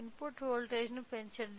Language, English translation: Telugu, So, let me increase the input voltage